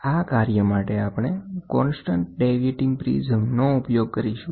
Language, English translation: Gujarati, For that, we use a constant deviating prism